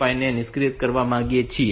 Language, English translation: Gujarati, 5 so we want to enable 5